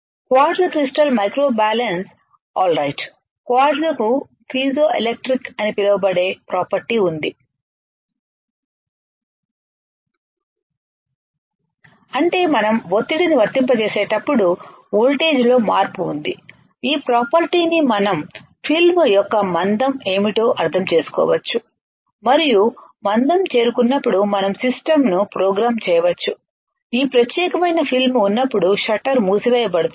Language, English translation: Telugu, Quartz crystal microbalance alright, quartz has a property it is called piezoelectric property; that means, when we apply pressure there is a change in voltage we can use this property to understand what is the thickness of the film and when the thickness is reached we can program the system such that the shutter will get closed when this particular film is film thickness is reach of or the film of our desired thickness is reached the shutter will get close right